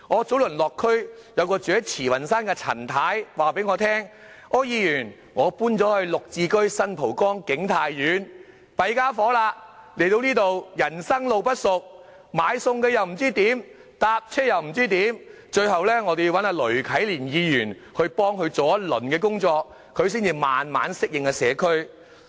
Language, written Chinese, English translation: Cantonese, 早前我落區時，便有一名居住在慈雲山的陳太告訴我，她說："柯議員，我搬到'綠置居'新蒲崗景泰苑，但人生路不熟，不知道該去哪裏買菜，又不知道該去哪裏乘車"，最後要請雷啟蓮區議員幫忙一番，她才慢慢適應社區。, A Mrs CHAN who lived in Tsz Wan Shan talked to me on my visit to the district Mr OR I have just moved to GSH King Tai Court in San Po Kong where everything is unfamiliar to me . I do not know where to buy food and where to take transport . With the help of District Council member Ms Wendy LUI she could adapt to the community eventually